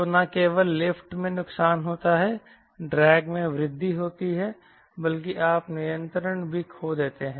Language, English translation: Hindi, so not only there is a lot of lift increase ment in the drag, but you lose control as well